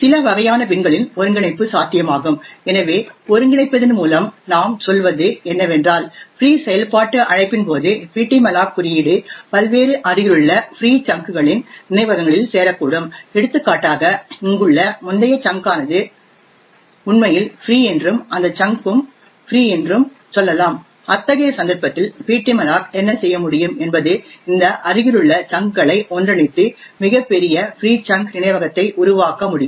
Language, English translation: Tamil, so what we mean by coalescing is that the ptmalloc code during the free function call could join various adjacent free chunks of memory, for example let us say that the previous chunk over here was actually free as well and this chunk to was also free, in such a case what ptmalloc can do is it can coalesce these adjacent chunks and form a much larger free chunk of memory